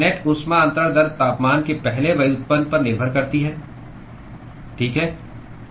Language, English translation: Hindi, The net heat transfer rate depends upon the first derivative of the temperature, right